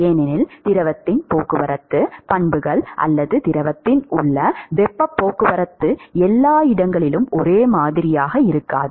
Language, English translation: Tamil, Because the fluid the transport properties or the heat transport in the fluid, may not be same at all the locations